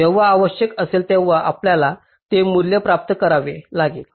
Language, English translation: Marathi, you will have to get those values whenever required